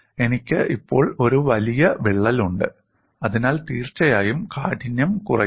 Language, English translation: Malayalam, I have a longer crack now, so definitely stiffness comes down